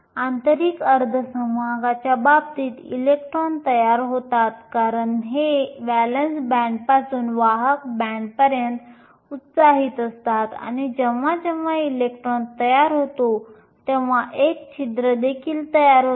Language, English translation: Marathi, In the case of an intrinsic semiconductor your electrons are created because they are excited from the valence band to the conduction band and whenever an electron is created a hole is also created